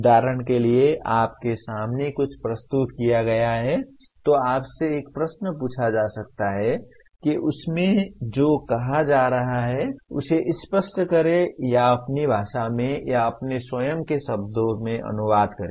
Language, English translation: Hindi, For example something is presented to you, you can be asked a question clarify what is being stated in that or translate into in your language or paraphrase in your own words